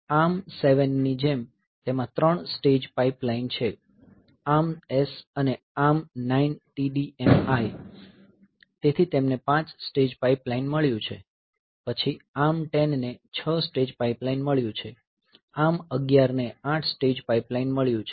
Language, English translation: Gujarati, Like ARM7 it has got 3 stage pipeline, ARMS and ARM9TDMI, so, they have got 5 stage pipeline, then ARM10 has got 6 stage pipeline, ARM11 has got 8 stage pipeline